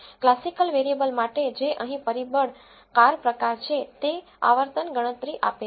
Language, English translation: Gujarati, For the categorical variable which is the factor car type here it returns the frequency count